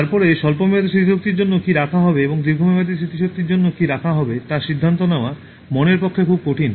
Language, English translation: Bengali, And it is very difficult for the mind to process and then decide what will be kept for short term memory and what will be kept for long term memory